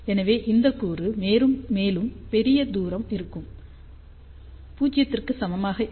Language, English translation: Tamil, So, r much larger distance this component will also be equivalent to 0